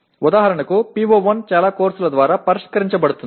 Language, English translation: Telugu, For example PO1 is addressed by most of the courses